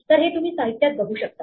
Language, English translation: Marathi, So, you might see this in the literature